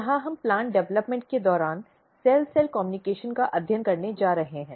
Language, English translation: Hindi, Here we are going to study Cell Cell Communication during Plant Development